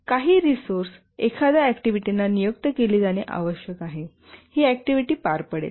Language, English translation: Marathi, Some resources must be assigned to an activity who will carry out this activity